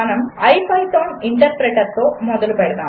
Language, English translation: Telugu, Let us start our ipython interpreter